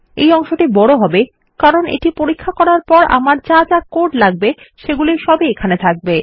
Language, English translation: Bengali, This will be a big block because all the code that I require after I check this will go in here